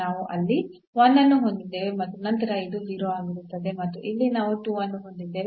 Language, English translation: Kannada, So, we have 1 there and then this is 0 and then here we have 2